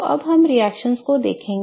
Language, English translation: Hindi, Okay, so now let us look at this reaction